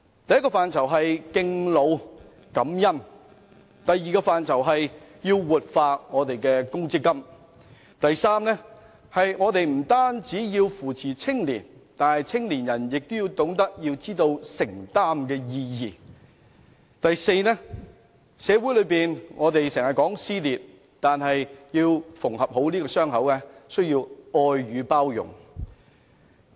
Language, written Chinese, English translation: Cantonese, 第一是敬老感恩；第二是活化強制性公積金；第三是扶持青年人，但青年人亦須懂得承擔；第四是減少社會撕裂，而縫合傷口則需要愛與包容。, First respect the elderly and be grateful; second revitalize the Mandatory Provident Fund MPF scheme; third support the youth but the youth should also shoulder responsibilities; and fourth alleviate social dissension and mend the wounds with love and tolerance